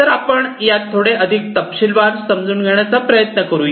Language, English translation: Marathi, So, let us try to understand these in little bit more detail